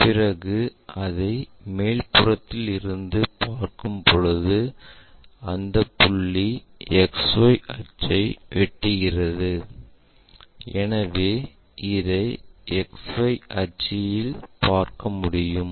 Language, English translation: Tamil, And when we are looking from top view, this point is intersecting with XY axis, so we will see it on XY axis